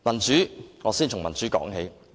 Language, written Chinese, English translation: Cantonese, 讓我先從民主說起。, Let me start with democracy